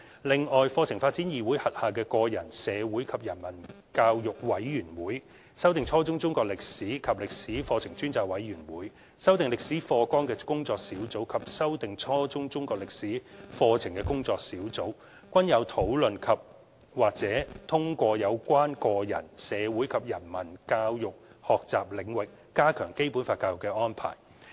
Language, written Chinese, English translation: Cantonese, 此外，課程發展議會轄下的個人、社會及人文教育委員會、修訂初中中國歷史及歷史課程專責委員會、修訂初中歷史課程工作小組及修訂初中中國歷史課程工作小組均有討論及/或通過有關個人、社會及人文教育學習領域加強《基本法》教育的安排。, Besides the Committee on Personal Social and Humanities Education the Ad Hoc Committee for Revising Junior Secondary Chinese History and History Curricula the Working Group on Revising Junior Secondary History Curriculum and the Working Group on Revising Junior Secondary Chinese History Curriculum under the CDC have also discussed andor endorsed the arrangements on strengthening Basic Law education in the Personal Social and Humanities Education Key Learning Area